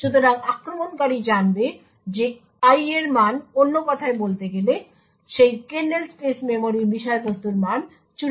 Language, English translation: Bengali, Thus, the attacker would know that the value of i in other words the contents of that kernel space memory has a value of 84